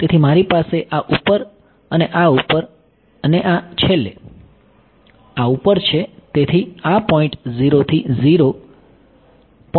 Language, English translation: Gujarati, So, I have over this over this over this over this and finally, over this right